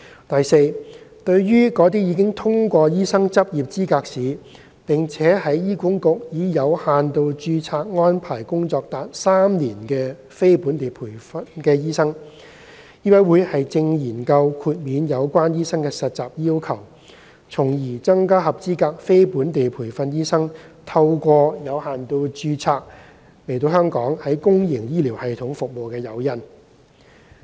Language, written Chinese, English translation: Cantonese, 第四，對於那些已通過醫生執業資格試並在醫管局以有限度註冊安排工作達3年的非本地培訓醫生，醫委會正研究豁免有關醫生的實習要求，從而增加合資格非本地培訓醫生透過有限度註冊來港於公營醫療系統服務的誘因。, Fourthly for non - locally trained doctors who have passed LE and worked in HA for three years under limited registration MCHK is exploring if their internship requirement could be exempted . This is to provide more incentive for eligible non - locally trained doctors to serve in the public health care system in Hong Kong through limited registration